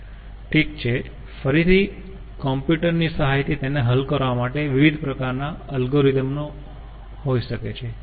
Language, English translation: Gujarati, well, again, with the help of computer one can have different type of algorithm for solving it